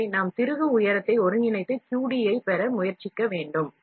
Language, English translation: Tamil, So, we must therefore, integrate over the height of the screw and try to get the QD